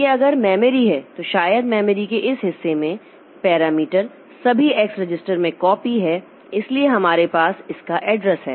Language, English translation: Hindi, So, it is like this that this is the memory, so maybe in this portion of the memory the parameters are all copied and in the X register so we have the address of this